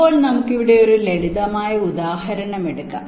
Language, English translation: Malayalam, now lets take a simple example here